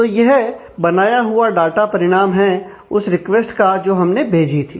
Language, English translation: Hindi, So, this is the result of the data that result of the request that has been prepared